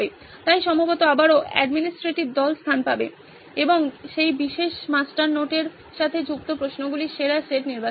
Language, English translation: Bengali, So probably again the administrative team will come into place and select the best set of questions that are tied to that particular master note